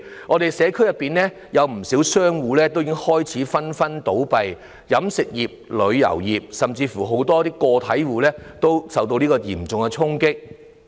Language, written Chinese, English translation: Cantonese, 我們社區內有不少商戶已紛紛倒閉，飲食業、旅遊業，甚至很多個體戶均受到嚴重衝擊。, Quite a number of shops have closed down one after another in our community . The catering industry the tourism industry and even many individual proprietors have suffered a devastating blow